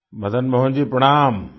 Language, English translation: Hindi, Madan Mohan ji, Pranam